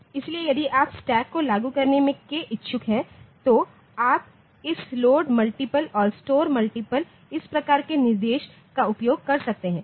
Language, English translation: Hindi, So, if you are willing to implement a stack, so you can use this load multiple and store multiple type of instruction for implementing a stack